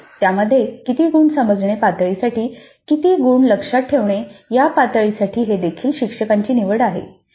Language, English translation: Marathi, Of course within that how many marks to understand level, how many marks to the remember level is also the instructor